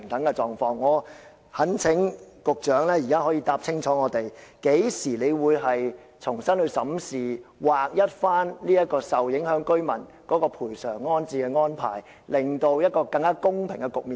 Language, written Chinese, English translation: Cantonese, 我懇請局長清楚答覆，究竟當局何時才會重新審視制度，將對受影響居民的賠償和安置安排劃一，重新構建一個更公平的局面呢？, I implore the Secretary to give a clear answer to this . When will the authorities examine the system afresh and standardize the compensation and rehousing arrangements for affected residents so as to reconstruct a fairer situation?